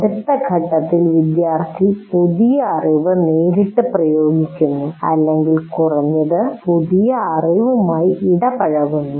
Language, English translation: Malayalam, And then what you do in the next stage, the student directly applies the new knowledge immediately or at least gets engaged with the new knowledge